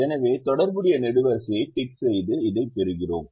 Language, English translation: Tamil, so we tick the corresponding column and we get this